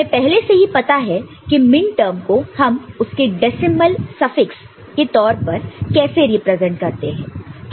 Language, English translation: Hindi, And, also we also already know how to represent a minterm in terms of it is decimal suffix